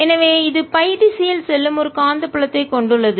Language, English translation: Tamil, so this has a magnetic field going in the phi direction